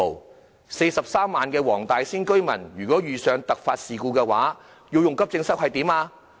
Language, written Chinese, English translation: Cantonese, 如果43萬名黃大仙區的居民遇上突發事故，要使用急症室怎麼辦呢？, In the event of unexpected incidents what should the 430 000 residents of Wong Tai Sin District do if they need to access the AE department?